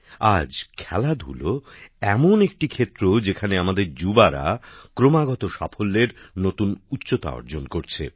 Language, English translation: Bengali, Today, sports is one area where our youth are continuously achieving new successes